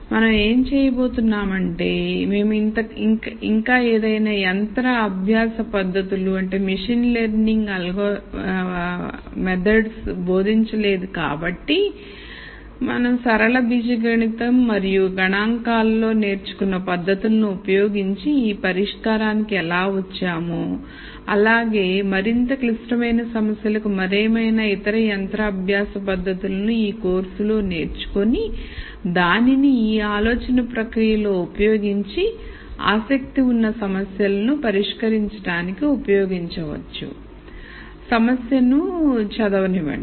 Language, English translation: Telugu, What we are going to do is since we have not taught any machine learning techniques as yet we are going to use techniques that we have learnt in linear algebra and statistics to illustrate how we come up with this solution and for a more complicated problem, you would also bring in the other machine learning techniques that you would learn in this course and then use that in this guided thought process also to solve problems that are of interest